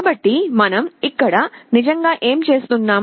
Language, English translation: Telugu, So, what we are actually doing